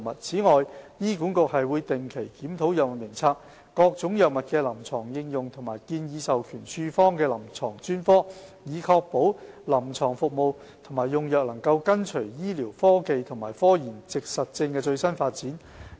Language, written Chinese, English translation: Cantonese, 此外，醫管局會定期檢討藥物名冊、各種藥物的臨床應用和建議授權處方的臨床專科，以確保臨床服務和用藥能跟隨醫療科技和科研實證的最新發展。, The HA reviews on a regular basis HADF the clinical indications of various drugs and the clinical specialties recommended for drug prescription to ensure that its clinical services and drug utilization can keep up with the latest development of medical technology and scientific evidence